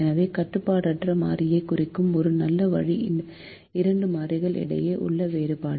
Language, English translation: Tamil, so a nice way of representing an unrestricted variable is the difference between the two variables